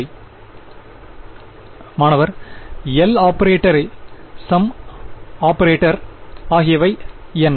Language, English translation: Tamil, What is the L operator and a sum operator